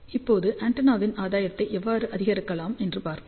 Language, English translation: Tamil, Now, let us see how we can increase the gain of the antenna